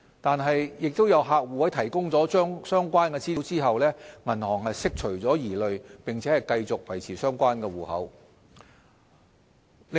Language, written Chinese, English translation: Cantonese, 然而，亦有客戶在提供相關資料後，銀行釋除了疑慮並繼續維持相關戶口。, However there are also cases where the accounts were subsequently maintained after the customers had provided the relevant information which addressed the banks concerns